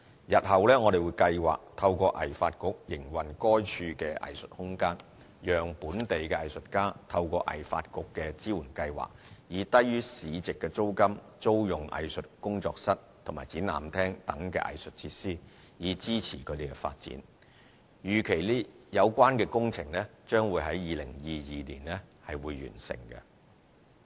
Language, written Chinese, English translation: Cantonese, 日後我們計劃透過藝發局營運該處的藝術空間，讓本地藝術家透過藝發局的支援計劃，以低於市值租金租用藝術工作室及展覽廳等藝術設施，以支持他們的發展，預期有關工程將會於2022年完成。, In future we are planning to ask HKADC to run the arts space there so that local artists under this HKADC support scheme can rent arts facilities such as studio and exhibition hall at below - market rates in a bid to support their development . The works are expected to be completed in 2022